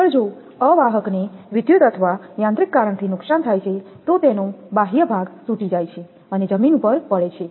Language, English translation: Gujarati, Next if an insulator is damaged by electrical or mechanical cause, the outer shed breaks and falls on the ground